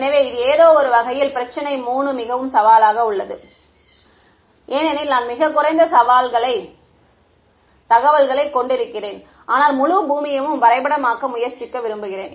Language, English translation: Tamil, So, this is in some sense problem 3 is the most challenging problem because, I have very little information yet I want to try to map the whole earth ok